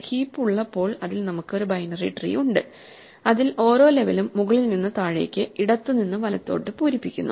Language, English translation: Malayalam, Heaps have a very regular structure when we have a heap we have a binary tree in which we fill each level from top to bottom, left to right